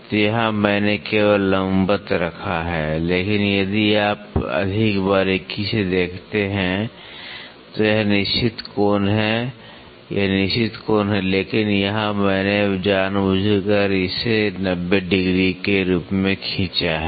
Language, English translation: Hindi, So, here I have just put perpendicular, but if you see more closely this is certain angle, this is certain angle, but here I have just intentionally draw it as 90 degrees